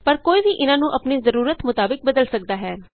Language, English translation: Punjabi, But one can change any of these to suit our requirement